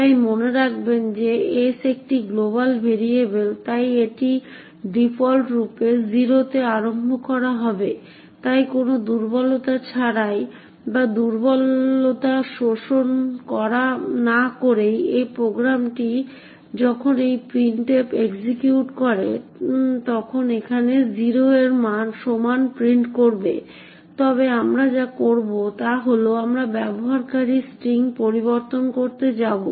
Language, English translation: Bengali, So note that s is a global variable so therefore it by default would be initialized to 0 so without any vulnerabilities or without exploiting the vulnerability this program when this printf executes would print as to be equal to 0 here however what we will do is that we are going to change the user string and note that this user string is specified as a format specifier in printf